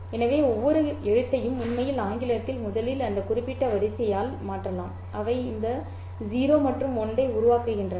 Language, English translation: Tamil, So, I can substitute each letter which is actually originally in English by that particular sequence which is made up of those zeros and ones